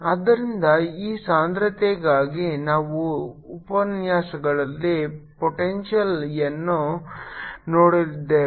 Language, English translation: Kannada, so for this density we have seen a in the lectures, the potential